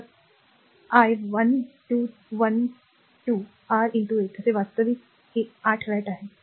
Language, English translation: Marathi, So, i is 1 1 square R into 8 actually it is 8 watt